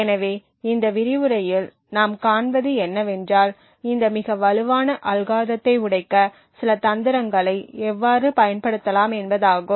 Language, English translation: Tamil, So what we will see in this lecture is how we could use a few tricks to break these extremely strong algorithms